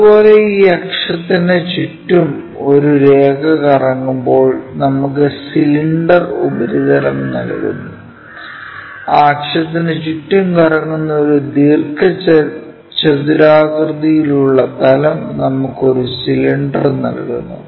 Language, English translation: Malayalam, Similarly, a line revolves around this axis give us cylindrical surface; a plane rectangular plane revolving around that axis gives us a cylinder